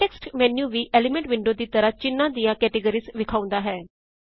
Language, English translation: Punjabi, The context menu displays the same categories of symbols as in the Elements window